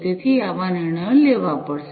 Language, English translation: Gujarati, So, those kind of decisions will have to be taken